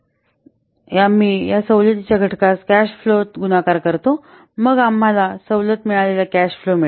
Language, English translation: Marathi, 8264 unlike that and then we multiply this discount factor with the cash flow then we get the discounted cash flow